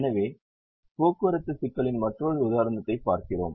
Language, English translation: Tamil, so we look at another example of a transportation problem